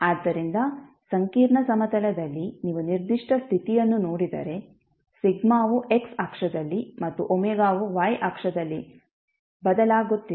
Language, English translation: Kannada, So if you see the particular condition in the a complex plane so sigma is varying in the at the x axis and g omega at the y axis